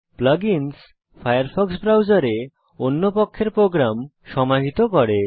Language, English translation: Bengali, Plug ins integrate third party programs into the firefox browser